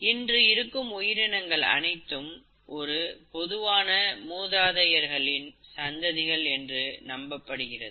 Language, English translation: Tamil, And these present forms are believed to be the descendants of a common ancestor